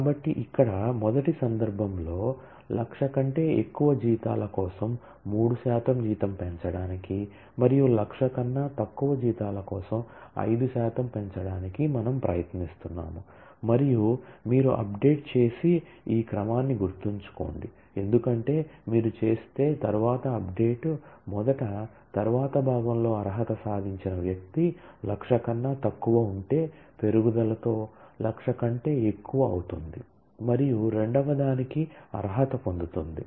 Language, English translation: Telugu, So, here in the in the first case; we are giving trying to give a 3 percent salary raise for salaries which are more than 100,000 and some 5 percent raise for salaries which are less than equal to 100,000 and mind you this order in which you do the update is important, because if you do the later update first then someone who was what qualified in the later part was less than 100,000 with the increase will become more than 100,000 and will also qualify for the second one